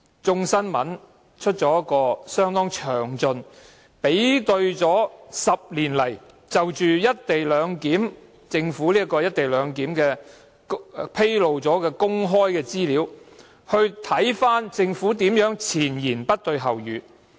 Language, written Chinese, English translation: Cantonese, 《眾新聞》剛剛作出了相當詳盡的報道，比對在這10年間，政府就"一地兩檢"安排所披露的公開資料是如何的前言不對後語。, In a rather detailed news report published lately in Hong Kong Citizen News a comparison is made on the information disclosed by the Government in the past 10 years on the implementation of a co - location arrangement to prove how the Government has contradicted itself in this regard